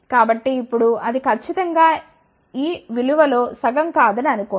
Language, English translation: Telugu, So, please do not think that now it is not precisely half of this value